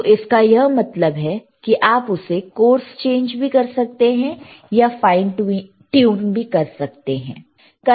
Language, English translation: Hindi, So that means, that in voltage, you can course change it or you can fine tune it,